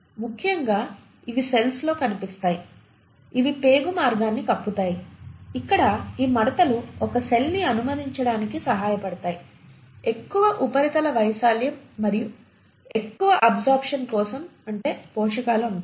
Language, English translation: Telugu, Especially these are seen in cells for example which are lining your intestinal tract where these foldings will help allow a cell, a greater surface area for more and more absorption of let us say nutrients